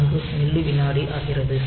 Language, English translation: Tamil, 274 millisecond that is 76